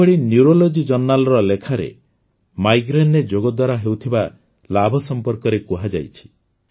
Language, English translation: Odia, Similarly, in a Paper of Neurology Journal, in Migraine, the benefits of yoga have been explained